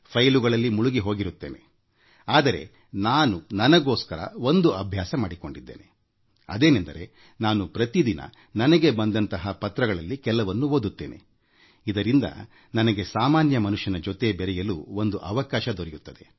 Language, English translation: Kannada, I have to remain deeply absorbed in files, but for my own self, I have developed a habit of reading daily, at least a few of the letters I receive and because of that I get a chance to connect with the common man